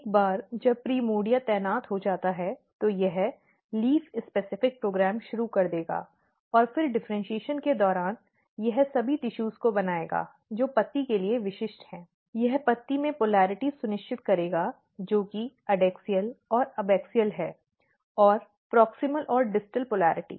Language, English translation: Hindi, So, once the primordia is positioned then primordia will start the program, which is leaf specific program and then during the differentiation it will make all the tissues, which are specific for the leaf, it will ensure the polarity in the leaf which is adaxial and abaxial and the proximal and distal polarity